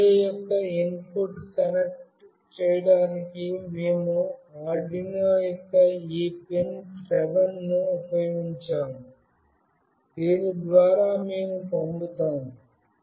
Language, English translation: Telugu, We have used this PIN7 of Arduino for connecting with the input of this relay through which we will be sending